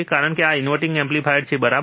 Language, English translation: Gujarati, Because this is the inverting amplifier, alright